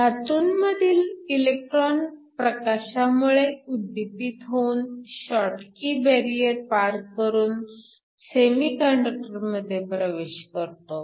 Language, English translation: Marathi, We can have a photo excited electron from the metal crossing over the schottky barrier into the semiconductor